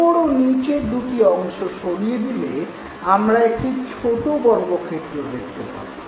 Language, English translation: Bengali, When the top and the bottom parts are removed, we clearly see a small square